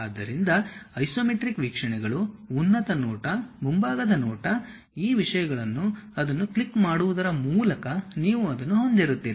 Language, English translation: Kannada, So, the isometric views, top view, front view these things, you will have it by clicking that